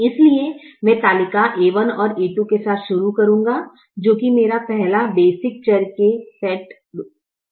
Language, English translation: Hindi, therefore, i will start the table with a one and a two as my first set of basic variables